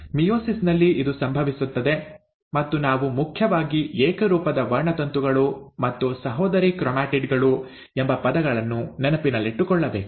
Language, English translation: Kannada, So this is what happens in meiosis and we have to remember the terms, mainly the homologous chromosomes and sister chromatids